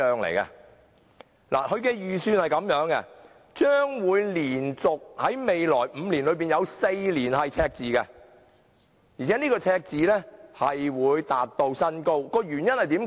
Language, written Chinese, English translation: Cantonese, 它預算在未來的連續5年中，會有4年出現赤字，而赤字更會達至新高，原因為何？, It is predicted that in the coming five years the fund will be in the red in four years and the amount of deficit will reach a record high . What is the reason?